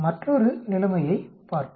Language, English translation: Tamil, Let us look at another situation